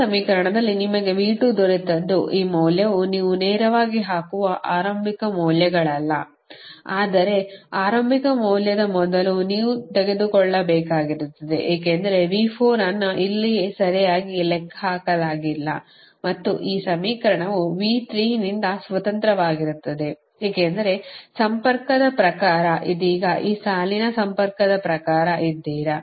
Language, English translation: Kannada, whatever you got v two in this equation, v two is advantage, the initial values, this value directly you put, but before initial value you have to take, because ah, v four is not computed here right and this in equation is also independent of v three, because, according to the ah connection that you are, you are according to this line, connectivity, right now